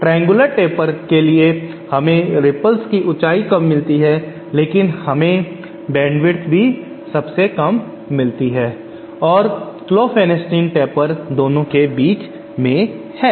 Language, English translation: Hindi, For the triangular taper we get the lowest height of the ripples but we also get the lowest bandwidth and Klopfenstein taper is somewhere between the two